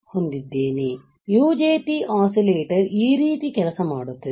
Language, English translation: Kannada, So, this is how the UJT oscillator will work